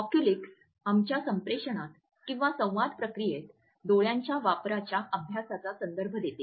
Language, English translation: Marathi, Oculesics refers to the study of the use of eyes in our communication